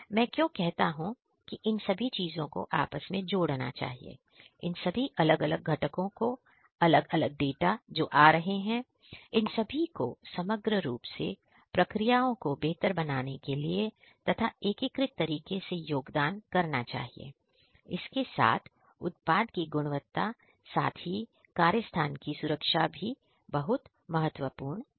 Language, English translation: Hindi, Why I say integrated is all of these things will have to be interconnected, all these different components, all these different data that are coming, all these should contribute in a holistic manner in an integrated manner in order to improve the processes, the product quality as well as the work place safety